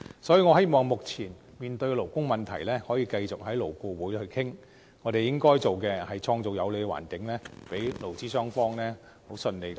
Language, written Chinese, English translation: Cantonese, 所以，我希望目前面對的勞工問題，可以繼續在勞顧會討論，而我們應該創造有利的環境，讓勞資雙方可以順利討論。, For this reason I hope the prevailing labour issues can continue to be discussed in LAB and we should create a favourable environment which facilitates smooth discussions between employers and employees